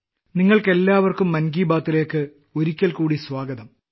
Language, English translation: Malayalam, Once again, a very warm welcome to all of you in 'Mann Ki Baat'